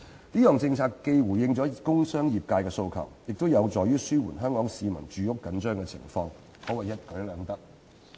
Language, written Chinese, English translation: Cantonese, 這項政策既回應了工商業界的訴求，亦有助於紓緩香港市民住屋緊張的情況，可謂一舉兩得。, This policy not only responds to the aspirations of the industrial and commercial sectors but also alleviates the tight supply of housing for Hong Kong people gaining two ends at once